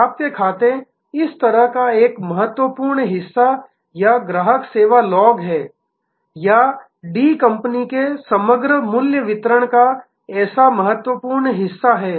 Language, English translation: Hindi, The accounts receivable is such an important part or the customer service log or is such an important part of the overall value delivery of D company